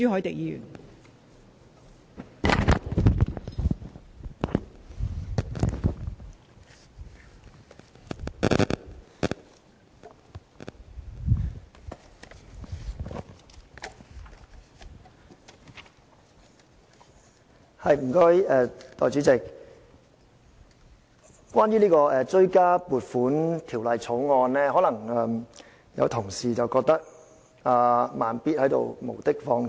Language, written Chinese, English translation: Cantonese, 代理主席，關於這項《追加撥款條例草案》，有同事可能會認為"慢咇"是在無的放矢。, Deputy President with regard to the Supplementary Appropriation 2016 - 2017 Bill the Bill certain colleagues may consider Slow Beat is making groundless criticisms